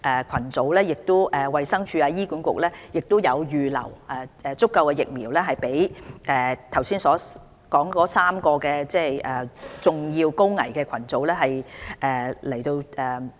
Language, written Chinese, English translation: Cantonese, 當然，衞生署和醫管局已預留足夠疫苗供上述3個主要高危群組人士接種。, DH and HA have of course reserved sufficient vaccines for the three major high - risk groups stated above